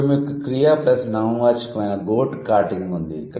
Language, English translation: Telugu, Then you have verb plus noun, go carting